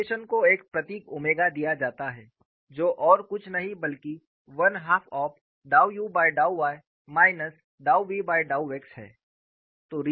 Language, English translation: Hindi, The rotation is given a symbol omega that is nothing but one half of dou u by dou y minus dou v by dou x